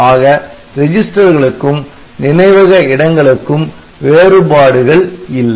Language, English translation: Tamil, So, register and memory does not have any difference